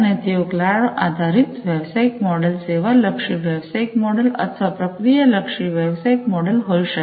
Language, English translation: Gujarati, And they could be cloud based business model, service oriented business model or process oriented business model